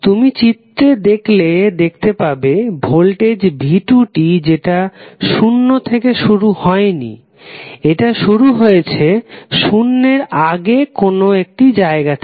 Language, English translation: Bengali, If you see this particular figure and you see the voltage V2T, so its waveform is not starting from zero, it is starting from somewhere before zero